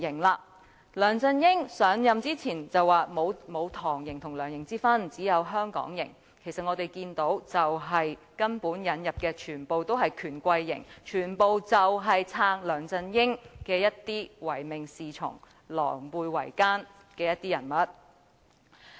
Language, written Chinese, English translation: Cantonese, 梁振英上任前說沒有"唐營"和"梁營"之分，只有"香港營"，但我們看到根本引入的全部都是"權貴營"，全部都是支持梁振英，一些唯命是從，狼狽為奸的人物。, Before assuming office LEUNG Chun - ying said that there is no distinction between the TANGs camp or LEUNGs camp but we saw that all those being admitted were bigwigs camp supporting LEUNG Chun - ying complying with his every order and colluding with him